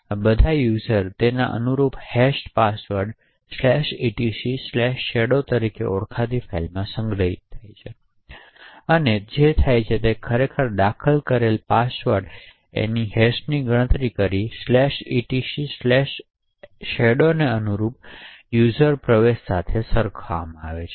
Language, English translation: Gujarati, Now all users and their corresponding hashed passwords are stored in a file called etc/shadow, so what happens is that for the password that is actually entered, and hash computed this is compared with the corresponding user entry in the/etc /shadow